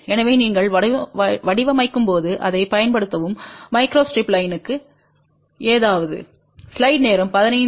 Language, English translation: Tamil, So, please use that when you are designing something for microstrip line